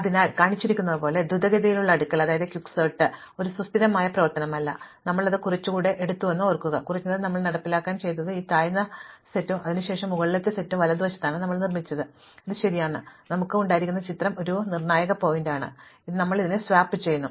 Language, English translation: Malayalam, So, quick sort as shown is not a stable operation, so remember that we took the pivot and in the, at least in our implementation what we did was we constructed this lower set and then the upper set to the right of it, so it is right, this is the picture we had and then finally, and this is the crucial point, we do this swap